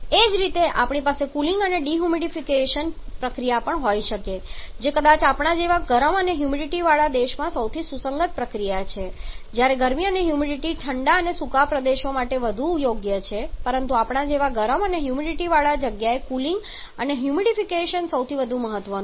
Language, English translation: Gujarati, Similarly, can also have a cooling and dehumidification process which is for the most relevant process in a cold and sorry warm and humidity country like us where the heating and humidification is more suitable for cold and dry countries but in a warm and humid place like ours cooling and humidity is most preferable